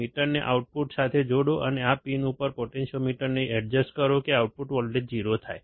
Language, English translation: Gujarati, Connect the meter to the output, and at this pin, adjust the potentiometer such that the output voltage is 0